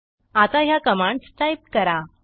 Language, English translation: Marathi, Now type the following commands